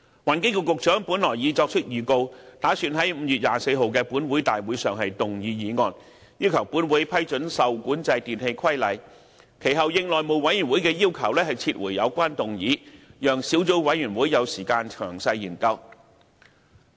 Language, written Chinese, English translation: Cantonese, 環境局局長本來已作出預告，打算在5月24日的立法會大會上動議議案，要求本會批准《受管制電器規例》，其後應內務委員會的要求撤回有關議案，讓小組委員會有時間詳細研究。, Originally the Secretary for the Environment had given notice to move a motion at the Council meeting of 24 May for this Council to approve the REE Regulation but the notice was withdrawn later on at the request of the House Committee so as to allow more time for detailed deliberation by the Subcommittee